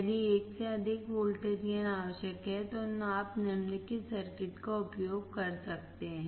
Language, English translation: Hindi, If a voltage gain greater than 1 is required, you can use the following circuit